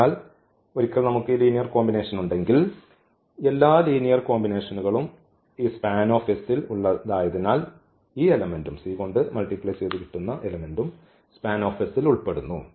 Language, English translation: Malayalam, So, once we have this linear combination and all the linear combinations belongs to this span S so, this element will also belong to span S